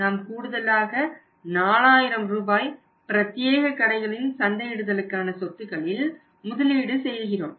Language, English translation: Tamil, We are assuming that we are going to spend extra 4000 rupees to create the marketing assets of the exclusive stores